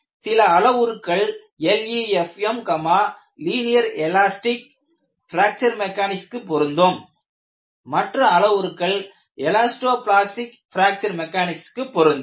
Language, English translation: Tamil, You know, certain parameters are applicable for LEFM, linear elastic fracture mechanics and the other parameters are applicable for elasto plastic fracture mechanics